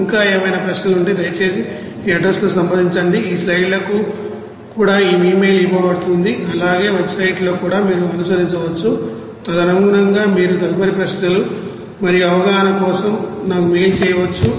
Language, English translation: Telugu, And of course all the best if is there any query please contact in this address email is given to this slides also website you can follow there accordingly you can mail me for further you know queries and also understanding